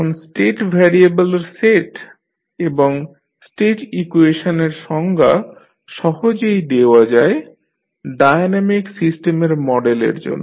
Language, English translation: Bengali, Now, it is convenient to define a set of state variable and set equations to model the dynamic system